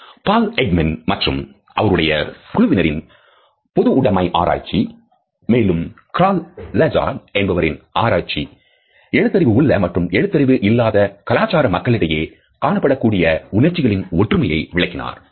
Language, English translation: Tamil, University studies by Paul Ekman and his team and also by Crroll Izard have demonstrated high cross cultural agreement in judgments of emotions in faces by people in both literate and preliterate cultures